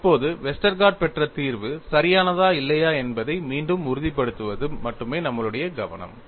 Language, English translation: Tamil, Now our focus is only to re confirm whether the solution obtained by Westergaard is correct or not; and what you will have to look at